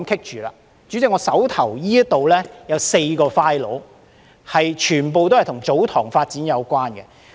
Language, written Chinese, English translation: Cantonese, 代理主席，我手邊有4個 files， 全部都與祖堂地發展有關。, Deputy President I have four files in hand which are all related to the development of TsoTong lands